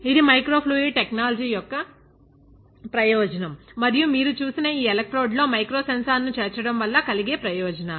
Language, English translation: Telugu, That is the advantage of microfluidic technology and that is the advantages of incorporating a micro sensor into these electrodes which you saw